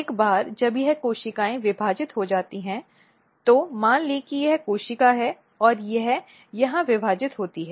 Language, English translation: Hindi, So, once this cells divide what happens let us assume if this is the cell if this cells divide here